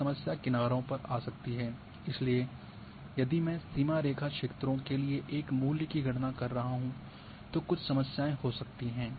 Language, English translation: Hindi, Now the problem might come at the edges with beyond which you do not have, so if am calculating a value for the boundary line areas there might be some problems